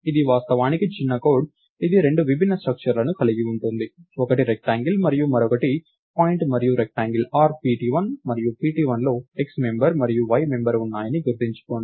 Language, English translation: Telugu, So, this is a small piece of code which actually takes two difference structures, one which is a rectangle and one which is a point and remember rectangle r has pt1 and pt1 has x member and a y member